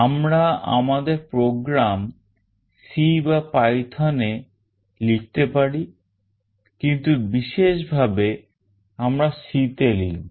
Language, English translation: Bengali, We can write our program in C or python, but most specifically we will be writing in C